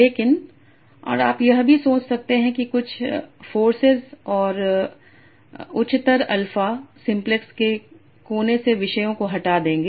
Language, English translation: Hindi, But so and you can also think of some forces and higher alpha will move the topics away from the corner of the simplex